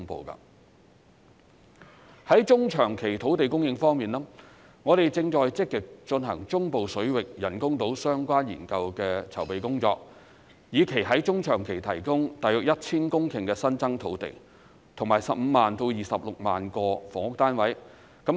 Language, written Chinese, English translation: Cantonese, 在中長期土地供應方面，我們正積極進行中部水域人工島相關研究的籌備工作，以期在中長期提供大約 1,000 公頃新增土地，以及15萬至26萬個房屋單位。, As for land supply in the medium to long term we are actively making preparation for studies related to the artificial islands in the central waters with a view to providing around 1 000 hectares of newly created land and 150 000 to 260 000 housing units